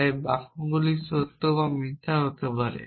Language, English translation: Bengali, sentences either true or it is false essentially